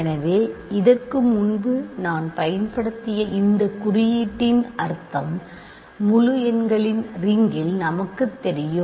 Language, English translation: Tamil, So, this notation I have used before this simply means that this means in the ring of integers we know what this means